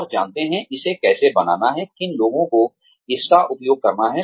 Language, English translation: Hindi, And know, how to make it, which ones to make use of